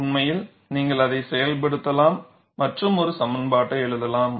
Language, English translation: Tamil, In fact, you could invoke that and write an expression